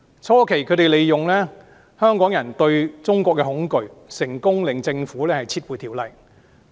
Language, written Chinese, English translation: Cantonese, 初期，他們利用香港人對中國的恐懼，成功令政府撤回《條例草案》。, At the early stage they exploited the fear of China among the people of Hong Kong to make the Government withdraw the Bill successfully